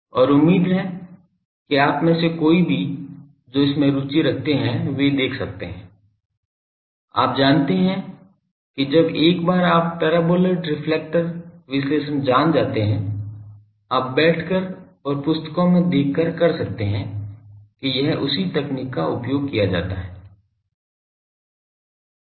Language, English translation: Hindi, And hopefully any of you those who are interested you can see that these are once you know that paraboloid reflector analysis, you can just sit down and see books to do that it is same technique is used